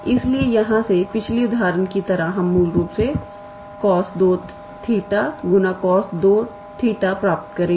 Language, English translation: Hindi, So, like previous example from here we will obtain basically cos square theta